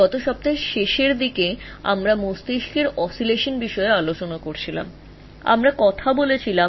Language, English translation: Bengali, Last week towards the end we talked about the oscillations of the brain